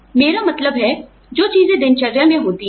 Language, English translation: Hindi, I mean, things that happen in routine